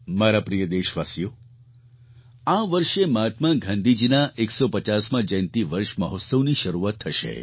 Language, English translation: Gujarati, My dear countrymen, this year Mahatma Gandhi's 150th birth anniversary celebrations will begin